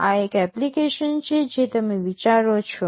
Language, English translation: Gujarati, This is one application you think of